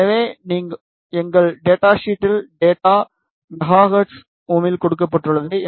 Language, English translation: Tamil, So, in our data sheet the data is given in megahertz Ohm